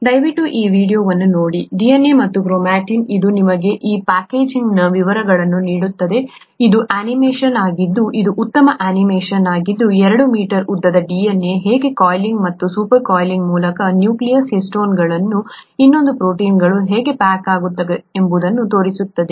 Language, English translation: Kannada, Please take a look at this video, DNA and chromatin, which gives you the details of this packaging, it is an animation which is a nice animation which shows you how the 2 meter long DNA gets packaged into a nucleus by coiling and super coiling around histones, another proteins, okay